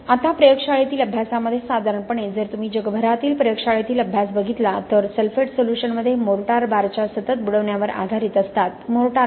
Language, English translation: Marathi, Now in the lab studies generally if you look at lab studies done across the world these are based on continuous immersion of mortar bars inside sulphate solutions, why mortar